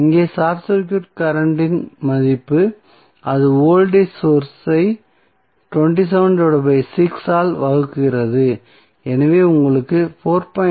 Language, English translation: Tamil, Here the short circuit current value would be that is the voltage source 27 divided by 6 so what you got is 4